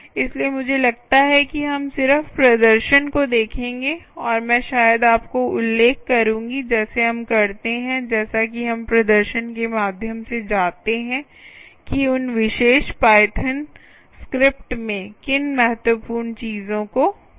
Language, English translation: Hindi, all right, so i think we will just go and see the demonstration and i will it perhaps mention to you as we do, as we go through the demonstration, what are the key things to look out in those particular python script